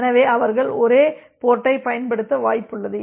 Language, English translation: Tamil, So, they are likely to use the same port